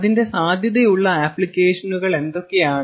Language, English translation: Malayalam, what are its potential applications where it is used today